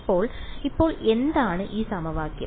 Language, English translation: Malayalam, So, now, what is this equation